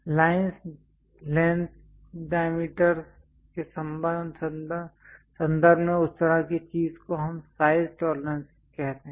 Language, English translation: Hindi, In terms of lines lengths diameter that kind of thing what we call size tolerances